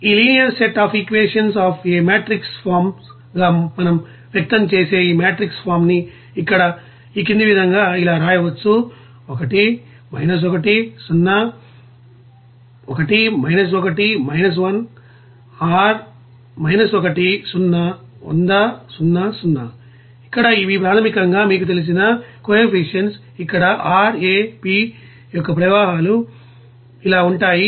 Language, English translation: Telugu, And if we express this linear set of equations as a matrix forms, we can write this matrix form here, Here this 1 1 1 these are basically the coefficients of that you know streams here of R A P like this